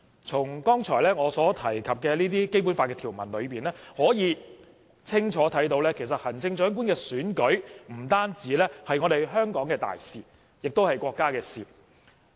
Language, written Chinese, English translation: Cantonese, 從我剛才提及的《基本法》條文，可以清楚看到行政長官選舉不單是香港的大事，亦是國家的事。, From the Basic Law provisions referred to just now we can see clearly that the Chief Executive Election is not only an important issue in Hong Kong but also a responsibility of China